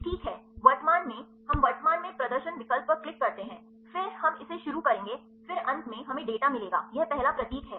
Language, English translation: Hindi, Right then, currently we click the display option, then we will start this then finally, we get the data now it is symbol the first one